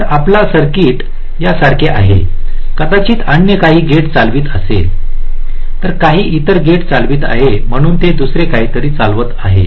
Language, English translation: Marathi, so your circuit is like this may be: this is driving some other gate, right, some other gate